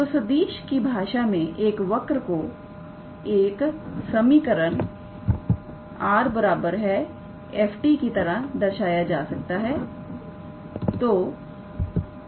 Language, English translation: Hindi, So, in the language of vectors actually, a curve can be represented by an equation r is equals to f t all right